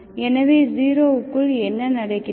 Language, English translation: Tamil, This is also from 0 to T